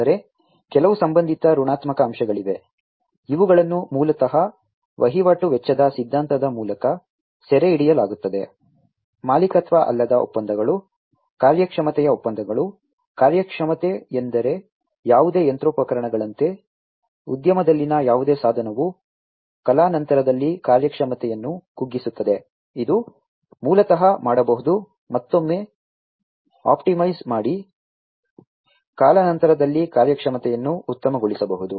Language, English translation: Kannada, But, there are some associated negative aspects, which are basically captured through the transaction cost theory, which you know, things like non ownership contracts, performance contracts, performance means like you know, any machinery any instrument in the industry degrades it is performance over time, which basically can be optimized again, you know, the performance can be optimized over time as well